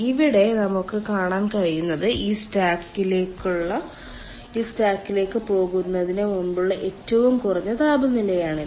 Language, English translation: Malayalam, ha, here what we can see, this is the lowest temperature before it goes to this stack